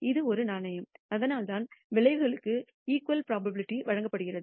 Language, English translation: Tamil, This is a fair coin and that is why the outcomes are given equal probability